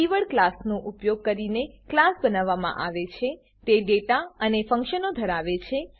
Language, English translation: Gujarati, Class is created using a keyword class It holds data and functions